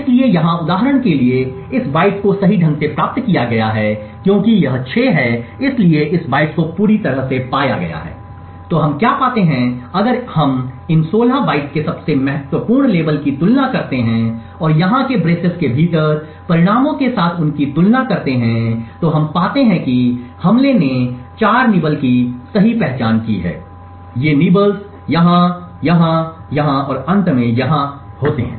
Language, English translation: Hindi, So for example here this bike has been correctly obtained because this is 6 so on this bytes has been found completely, so what we find if we compare the most significant label of these 16 bytes and compared them with the results within the braces over here, we find that the attack has identified 4 nibbles correctly that these nibbles occur here, here, here and finally here